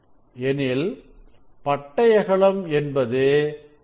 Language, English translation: Tamil, for one fringe what will be the width R by n